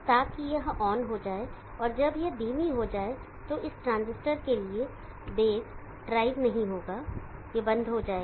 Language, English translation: Hindi, So that will turn on and when this goes slow this will, there would not be base drive for this transistor, this will go off